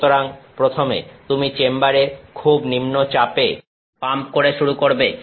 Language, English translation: Bengali, So, first you begin by pumping down the chamber to very low pressure